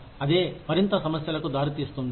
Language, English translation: Telugu, That can result in, further problems